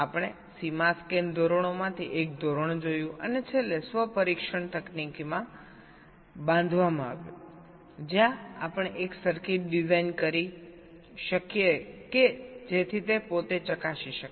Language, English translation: Gujarati, we looked at one of the standards, the boundary scan standards, and finally built in self test technique where we can design a circuit such that it can test itself